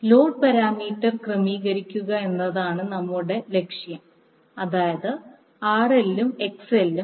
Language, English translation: Malayalam, Our objective is to adjust the load parameter, that is RL and XL